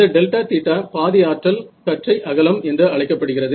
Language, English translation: Tamil, So, this delta theta becomes it is called the Half Power Beam Width